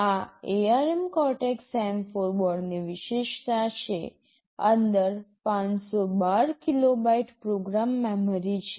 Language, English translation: Gujarati, The feature of this ARM Cortex M4 board is, inside there is 512 kilobytes of program memory